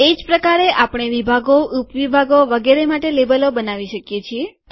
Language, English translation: Gujarati, In a similar way we can create labels for sections, sub sections and so on